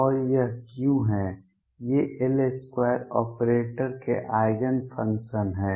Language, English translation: Hindi, And what is it these are eigen functions of L square operator